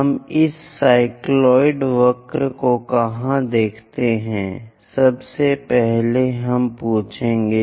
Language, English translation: Hindi, Where do we see this cycloid curves, first of all, we will ask